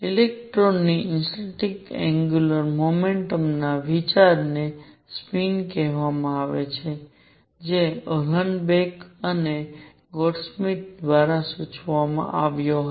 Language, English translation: Gujarati, The idea of intrinsic angular momentum of an electron is called the spin was proposed by Uhlenbeck and Goudsmit